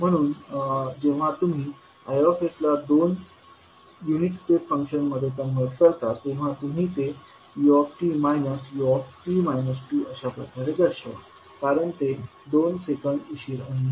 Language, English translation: Marathi, So when you convert Is into two unit step functions you will represent it like u t minus u t minus two because it is delayed by two seconds